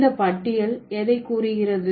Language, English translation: Tamil, So, what does this list suggest